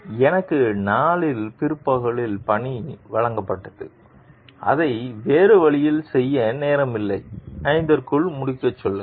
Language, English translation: Tamil, So, I was given the assignment late in the day and tell to finish by 5 there was not time to do it another way